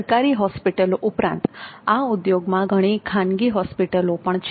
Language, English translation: Gujarati, Apart from government hospitals there are so many private players in this industry